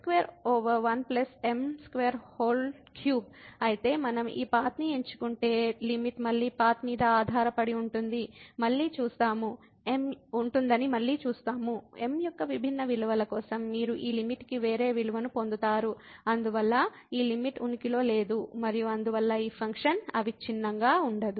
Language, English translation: Telugu, So, again we see that if we choose this path, then the limit depends on the path again; for different values of you will get a different value of this limit and therefore, this limit does not exist and hence this function is not continuous